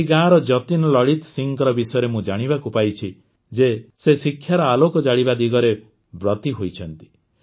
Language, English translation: Odia, I have come to know about Jatin Lalit Singh ji of this village, who is engaged in kindling the flame of education